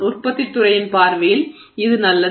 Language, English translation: Tamil, So, from a manufacturing industry perspective this is good